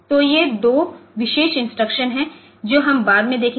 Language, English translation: Hindi, So, do will these are two special instructions that we will see later